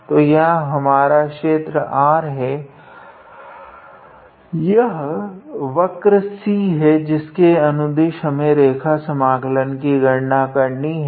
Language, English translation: Hindi, So, this is our region R this is the curve C along which we have to calculate this line integral